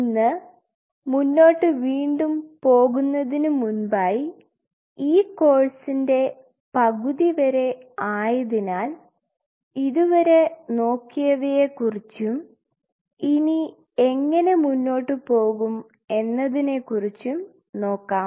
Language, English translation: Malayalam, Today before we proceed further since we are halfway through we will just take a stock of what all we have covered and how we are going to proceed further